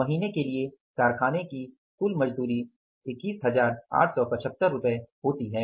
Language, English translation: Hindi, Total wage bill of the factory for the month amounts to rupees 21,875